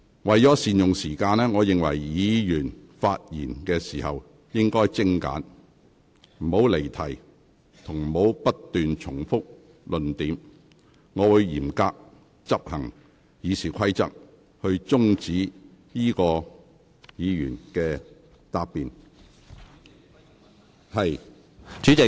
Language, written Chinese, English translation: Cantonese, 為了善用議會時間，議員發言時應該精簡，不應離題，亦不應不斷重複論點，否則我會嚴格執行《議事規則》，停止有關議員發言。, To make the best use of the Councils time will Members please keep their speeches precise do not digress from the subject and do not repeat their arguments; otherwise I will enforce the Rules of Procedure in a much stricter manner and stop the Member concerned from speaking